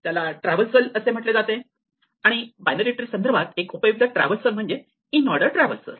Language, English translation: Marathi, These are called traversals and one traversal which is very useful for a binary search tree is an inorder traversal